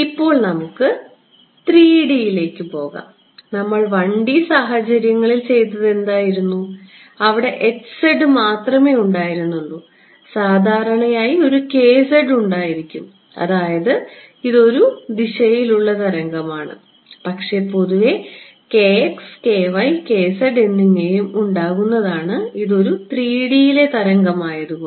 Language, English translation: Malayalam, Now, let us go to 3D ok, what we did was in a 1D case, where there was only one h z, but in general there will be sorry one k z right that is the wave in one direction, but in general there can be a k x, k y, k z right this is a wave in 3D ok